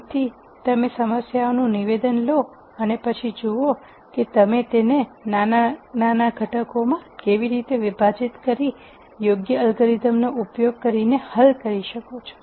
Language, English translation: Gujarati, So, you take a problem statement and then see how you can break it down into smaller components and solve using an appropriate algorithm